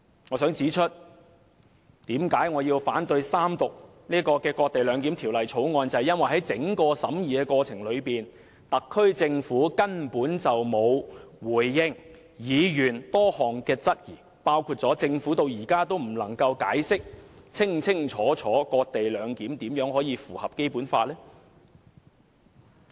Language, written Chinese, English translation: Cantonese, 我想指出為何我要反對三讀這項"割地兩檢"的《條例草案》，那是因為在整個審議的過程中，特區政府根本沒有回應議員的多項質詢，包括政府至今仍未能清楚解釋"割地兩檢"如何符合《基本法》。, I must therefore explain why I oppose the Third Reading of this cession - based co - location bill . All is because the SAR Government has never answered the many questions asked by Members throughout the scrutiny of the Bill . For example till now the Government has not explained why the cession - based co - location arrangement is compatible with the Basic Law